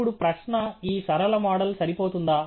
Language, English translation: Telugu, Now the question is if this linear model is sufficient